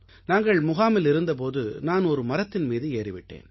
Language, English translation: Tamil, While we were at camp I climbed a tree